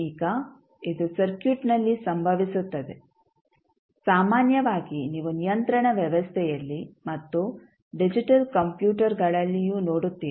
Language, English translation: Kannada, Now, it will occur in the circuit generally you will see in the control system and digital computers also